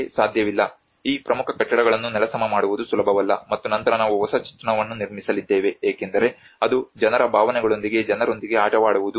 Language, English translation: Kannada, We cannot, it is not easy to demolish these important buildings and then we are going to construct a new set of image because it is to play with the peoples emotions peoples belonging